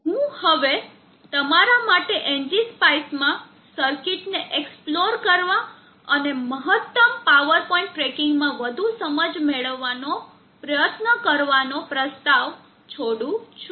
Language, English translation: Gujarati, I will now leave it to you for you to explore the circuit in NG spice and try to gain more inside into maximum power point tracking